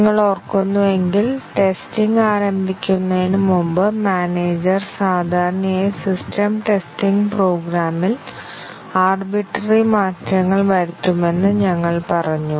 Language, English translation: Malayalam, If you remember, we said that the manager before the testing starts typically the system testing makes several arbitrary changes to the program